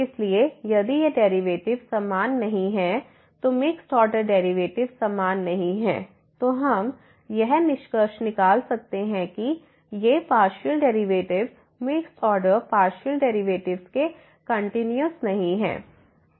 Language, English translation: Hindi, So, if these derivatives are not equal this mixed order derivatives are not equal, then we can conclude that the partial derivatives these mixed order partial derivatives are not continuous